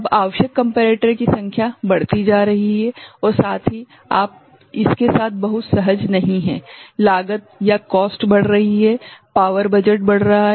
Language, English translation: Hindi, Now, this number of comparators getting increased and also you are not very comfortable with that, cost is increasing power budget is increasing right